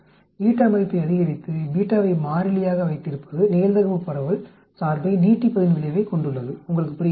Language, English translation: Tamil, Increasing the value of eta with beta constant has the effect of stretching out the probability distribution function, you understand